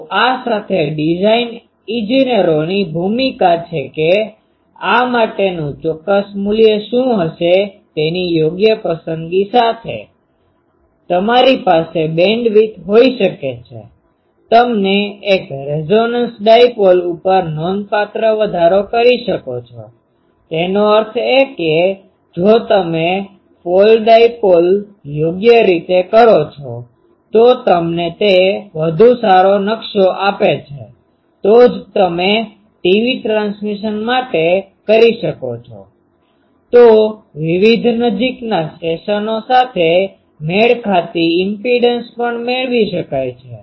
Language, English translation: Gujarati, So, with the this is the design engineers role that with proper choice of what will be the exact value for this, you can have the bandwidth, you can be substantially increased over a resonance dipole; that means, if you properly do folded dipole gives you a better map that is why you can have for TV transmission that various, so apart from the impedance matching various nearby stations also could have been obtained